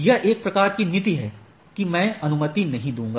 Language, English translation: Hindi, So, that is a policy, that I will not allow